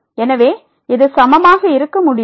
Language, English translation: Tamil, So, this cannot be equal